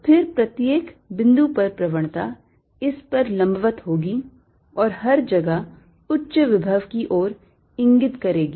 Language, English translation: Hindi, one, then gradient will be perpendicular to this at each point and pointing towards higher potential everywhere